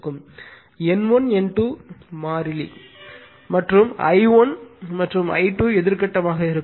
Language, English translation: Tamil, N 1 N 2 the constant with it turns, right and I 1 and I 2 will be an anti phase